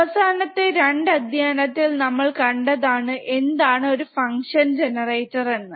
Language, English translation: Malayalam, We have seen in the last modules what is function generator, right